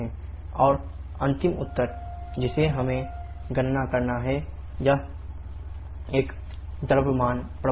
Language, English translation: Hindi, And the final answer that I have to calculate is a mass storage and how to get the mass flow rate